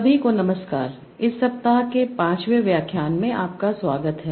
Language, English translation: Hindi, So, hello everyone, welcome to the fifth lecture of this week